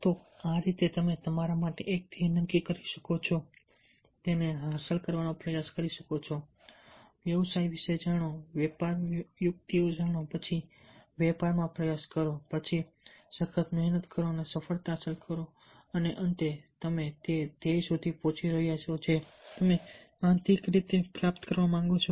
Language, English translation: Gujarati, so this is how you can set a goal for yourself, try to achieve it, know about the business, know the tricks of the trade, then attempt to enter in to the trade, then working hard to achieve this success and finally you are reaching the goal that you internally wants to achieve